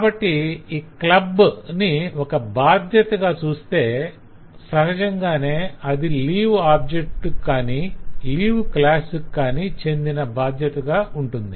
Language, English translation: Telugu, so if we look into these club as a responsibility now naturally it will go to a responsibility of the leave class or the leave objects